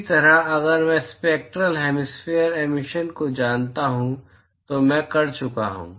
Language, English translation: Hindi, Similarly, if I know the spectral hemispherical emissivity, I am done